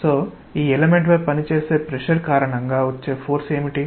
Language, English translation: Telugu, So, what is the force due to pressure that acts on this element